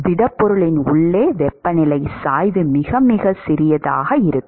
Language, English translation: Tamil, That the temperature gradients inside the solid is going to be very, very small